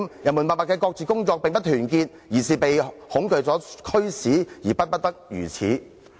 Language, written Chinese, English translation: Cantonese, 人民默默的各自工作，並不是團結，而是被恐懼所驅使而不得不如此。, People work quietly on their own . They dont stand united but they are driven to it by fear